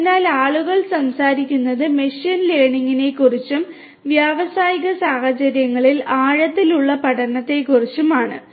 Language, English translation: Malayalam, So, people are talking about machine learning, deep learning in the industrial settings